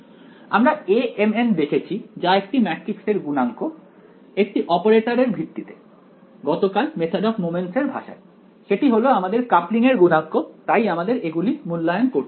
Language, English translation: Bengali, We looked at the A m n the matrix coefficient A m n in terms of the operator yesterday in the language of method of moments, that is the coupling coefficients so to speak that I have to evaluate